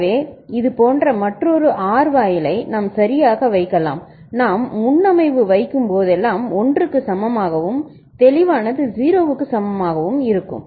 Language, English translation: Tamil, So, we can just put another such OR gate right and whenever we put preset is equal to 1 and a clear is equal to 0